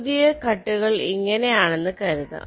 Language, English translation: Malayalam, so let say, the cuts are like this